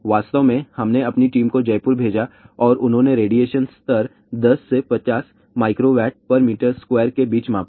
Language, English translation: Hindi, In fact, we sent our team to Jaipur and they measured the radiation level between 10 to 50 milliWatt per meter square